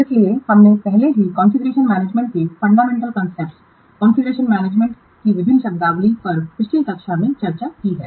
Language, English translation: Hindi, So we have already discussed the fundamental concepts of configuration management various terminologies of configuration management in the previous class